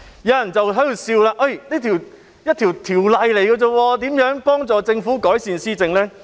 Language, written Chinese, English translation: Cantonese, 有人會笑指，區區一項條例怎可能幫助政府改善施政。, Some people may say with sarcasm that it is simply impossible for an ordinance to be of assistance to the Government in improving its governance